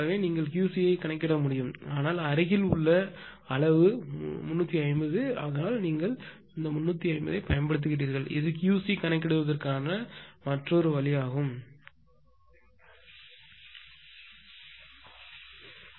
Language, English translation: Tamil, So, this is the way that you can calculate Q c, but nearest site is 350 so that is why 350 you have use, but this is another way of computing Q c